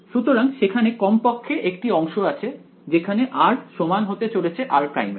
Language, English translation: Bengali, So, there will be at least one segment where r is going to be equal to r prime right